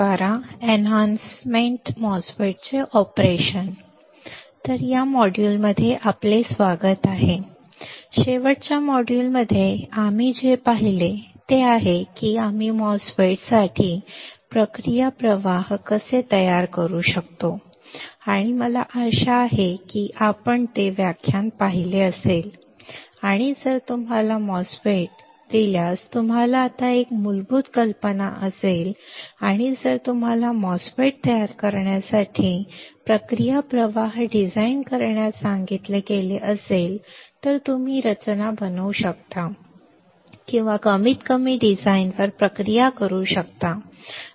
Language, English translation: Marathi, So, welcome to this module, in the last module what we have seen we have seen how we can design the process flow for a MOSFET right and I hope you have seen that lecture and you now have a basic idea if you are given a MOSFET, and if you are asked to design the process flow for fabricating the MOSFET you can fabricate the or at least process the design right